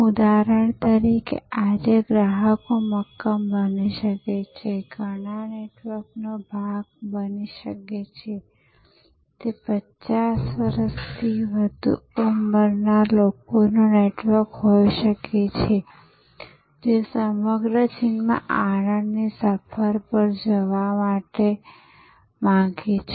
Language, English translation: Gujarati, For example, today consumers can firm, can be part of many networks, it could be a network of people over 50 wanting to go on a pleasure trip across China